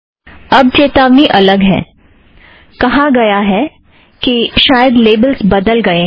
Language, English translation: Hindi, Now the warnings are different, it says that labels may have changed